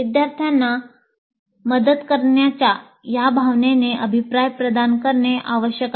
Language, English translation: Marathi, And feedback must be provided in this spirit of helping the students